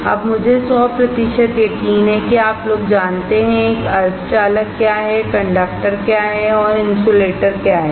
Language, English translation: Hindi, Now I am hundred percent sure that you guys know what is a semiconductor, what is conductor, and what is insulator